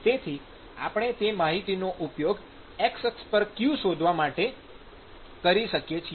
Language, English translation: Gujarati, So, we can use that property to find out what is qx